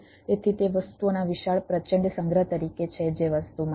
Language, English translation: Gujarati, so it is as of a huge, enormous storage of things which are there in the thing